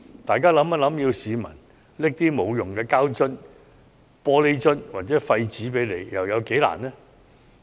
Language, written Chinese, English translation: Cantonese, 大家試想想，要市民將一些無用的膠樽、玻璃樽或廢紙拿去回收，有多困難？, I would like Members to consider this Is it difficult be to have the public take useless plastic bottles glass containers and waste paper to recycle?